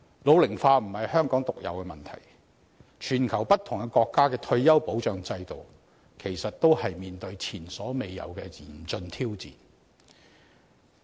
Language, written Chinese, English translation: Cantonese, 老齡化並非香港獨有的問題，全球不同國家的退休保障制度，其實也正面對前所未有的嚴峻挑戰。, The problem of population ageing is not unique to Hong Kong . The retirement protection systems adopted by countries around the world are facing unprecedentedly critical challenges